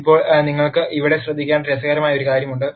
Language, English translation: Malayalam, Now, there is something interesting that you should notice here